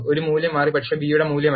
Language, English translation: Malayalam, Value of a, has changed, but not the value of b